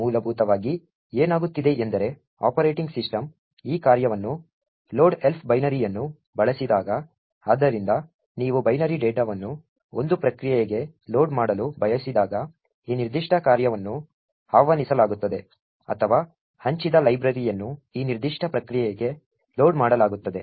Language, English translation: Kannada, Essentially what is happening is that when the operating system invokes this function load elf binary, so this particular function is invoked when you want to either load binary data to a process or a shared library gets loaded into a particular process